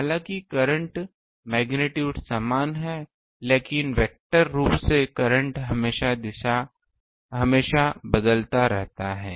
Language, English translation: Hindi, Though the ah current ah magnitude is same, but vectorially the current is always changing